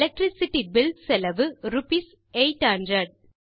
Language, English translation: Tamil, The cost for the Electricity Bill is rupees 800